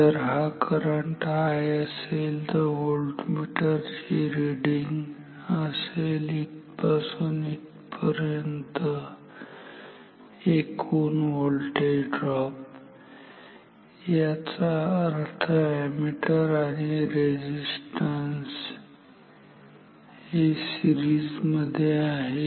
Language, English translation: Marathi, If this current is I then the voltmeter reading this will be equal to the total voltage drop from here to here; that means ammeter and resistances in series